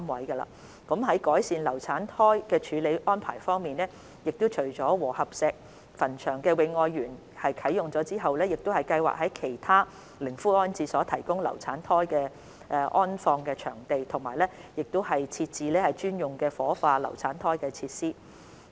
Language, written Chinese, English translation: Cantonese, 在改善流產胎的處理安排方面，除了和合石墳場的"永愛園"已經啟用之外，我們亦計劃在其他靈灰安置所內提供流產胎安放場地，並設置專用作火化流產胎的設施。, On improving the arrangements for handling abortuses apart from the commissioned Garden of Forever Love at the Wo Hop Shek Cemetery we also plan to provide facilities for keeping abortuses in other columbaria and establish a designated cremation facility for abortuses